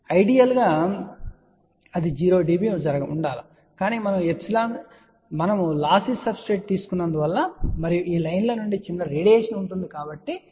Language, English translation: Telugu, Ideally it should happen 0 db , but because we have taken a lossy substrate and also there will be small radiation from these lines hence it is about 0